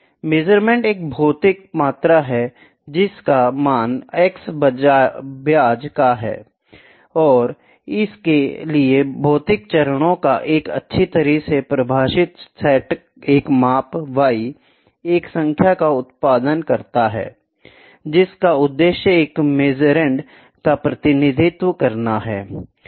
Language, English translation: Hindi, Measurand is a physical quantity whose value of, x, is of interest and for which a well defined set of physical steps produce a measurement, y, a number that intended to represent a measurand